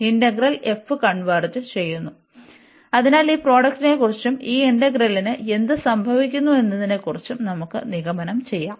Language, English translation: Malayalam, And then these integral over f converges, so then we can conclude about this product as well that what will happen to to this integral